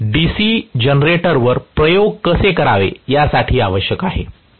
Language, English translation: Marathi, So, this is essentially for how to experiment on a DC generator